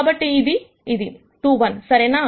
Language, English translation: Telugu, So, this will be 2 1, right